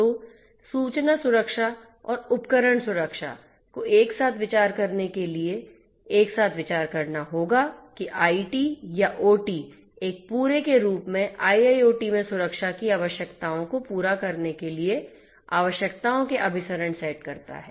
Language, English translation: Hindi, So, information security and device security will have to be considered together in order to come up with that IT or OT converged set of requirements for catering to the requirements of security in IIoT as a whole